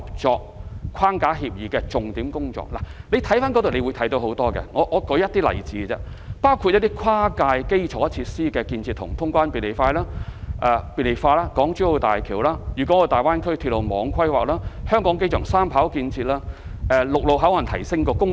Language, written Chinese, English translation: Cantonese, 這份協議的內容多元多樣，我舉出一些例子，包括：跨界基礎設施的建設及通關便利化、港珠澳大橋、粵港澳大灣區鐵路網規劃、香港機場第三跑道建設、提升深港陸路口岸功能。, The Agreement covers a variety of topics including cross - boundary infrastructure development and clearance facilitation; the Hong Kong - Zhuhai - Macao Bridge; railway network planning in the Guangdong - Hong Kong - Macao Greater Bay Area; construction of the Three - Runway System in the Hong Kong International Airport; and enhancement of the functions of the ShenzhenHong Kong land boundary control points